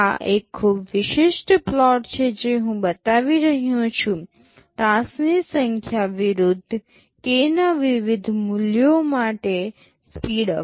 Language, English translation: Gujarati, This is a very typical plot I am showing, number of task N versus speedup for various values of k